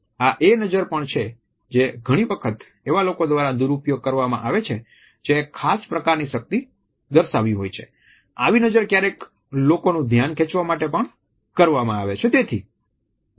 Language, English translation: Gujarati, This is also the gaze which is often abused by people who want to develop a particular type of a power play, it is also a way of keeping the attention of somebody